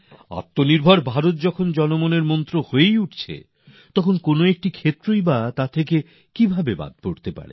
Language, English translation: Bengali, At a time when Atmanirbhar Bharat is becoming a mantra of the people, how can any domain be left untouched by its influence